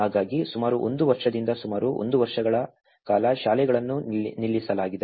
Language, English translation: Kannada, So, that is where the schools have been stopped for about one year, nearly one year